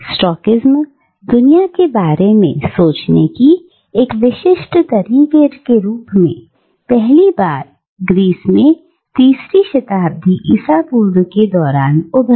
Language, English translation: Hindi, And Stoicism, as a particular way of thinking about the world, first emerged in Greece during the 3rd century BCE